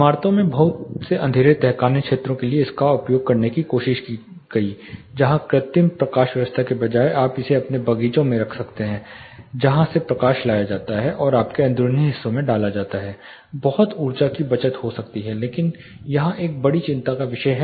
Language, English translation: Hindi, Lot of buildings have you know tried using this for dark basement areas where instead of artificial lighting you can have it in your gardens from which the light is harvested and put in to your interiors lot of energy sayings can be attained, but there is a major concern here the sky lighting gets you know fluctuated when there is cloud movement